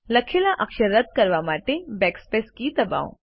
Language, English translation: Gujarati, Press the Backspace key to delete typed characters